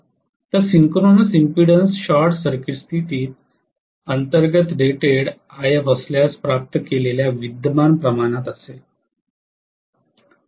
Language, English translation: Marathi, So, synchronous impedance is going to be the ratio of the current obtained under short circuit condition at rated IF